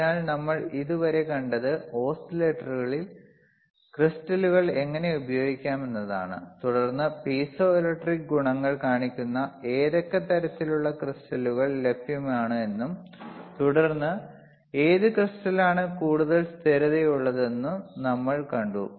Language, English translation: Malayalam, So, what we have seen until now is how the crystals can be used in oscillator, and then what kind of crystals are available which shows the piezoelectric properties, isn’t it shows the piezoelectric property and then we have seen that which crystal is more stable, which crystal is more stable and